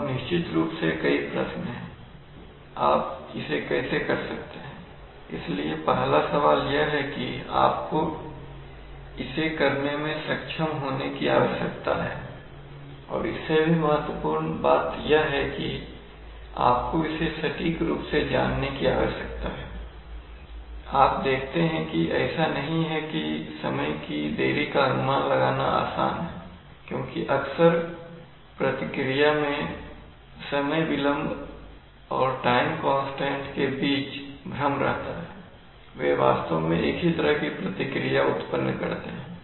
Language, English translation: Hindi, Now there are of course several questions as to how you can do it, so the first question is that you require to be able to do it, you require this to be known accurately and more importantly you require this to be known accurately, you see it is rather, it is not so simple to estimate time delays because time delays are often confused with time constants in the response, they actually generates similar kinds of response it is very difficult to differentiate between time delay and time constant